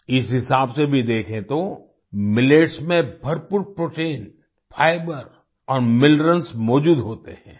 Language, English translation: Hindi, Even if you look at it this way, millets contain plenty of protein, fiber, and minerals